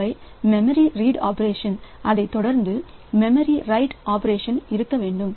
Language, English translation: Tamil, So, there should be a memory read operation and followed by a memory write operation